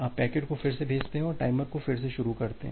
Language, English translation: Hindi, You retransmit the packet and start the timer again